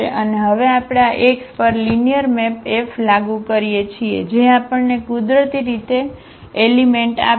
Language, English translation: Gujarati, And now we apply this linear map F on x which will give us the element y naturally